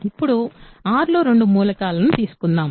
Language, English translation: Telugu, Now, let us take two elements in R ok